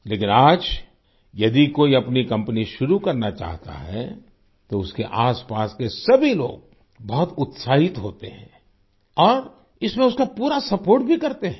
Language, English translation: Hindi, But, if someone wants to start their own company today, then all the people around him are very excited and also fully supportive